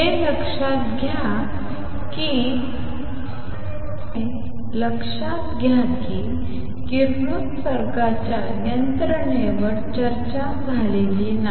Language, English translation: Marathi, Notice in all this the mechanism for radiation has not been discussed